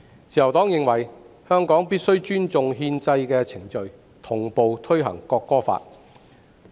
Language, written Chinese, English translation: Cantonese, "自由黨認為，香港必須尊重憲制的程序，同步推行《國歌法》。, The Liberal Party is of the view that Hong Kong must respect the constitutional procedures and implement the National Anthem Law simultaneously